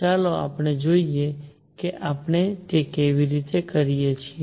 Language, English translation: Gujarati, Let us see how we do that